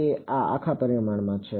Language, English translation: Gujarati, So, this is in one dimension